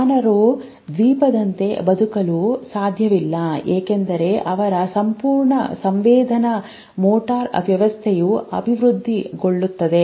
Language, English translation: Kannada, Our human beings cannot leave like an island because their whole sensory motor system develops it is so embedded with the environment